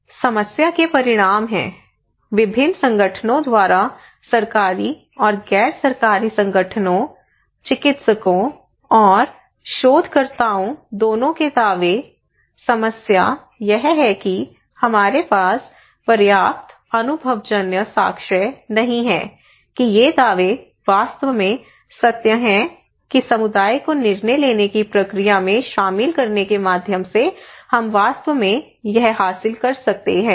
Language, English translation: Hindi, These are fine, but the problem is that these outcomes, these claims by different organizations both government and non governmental organisations, both practitioners and the researchers, the problem is that we do not have enough evidence empirical evidence that these claims are really true that through involving community into the decision making process we can really achieve that one, we can really achieve this one this is still unknown